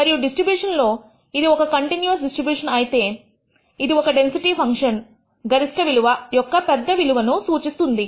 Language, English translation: Telugu, And in a distribution if it is a continuous distribution, this represents the highest value of this maximum value of the density function